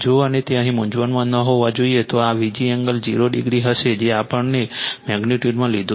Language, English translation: Gujarati, If you and it should not be in confusion in here right this will be V g angle 0 degree that we have take in the magnitude